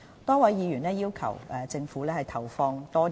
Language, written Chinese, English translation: Cantonese, 多位議員要求政府為公營醫療投放更多資源。, Many Members requested the Government to allocate more resources to public health care services